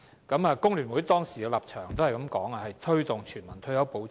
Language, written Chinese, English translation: Cantonese, 工聯會當時的立場是推動全民退休保障。, Back in those days FTUs position was to promote universal retirement protection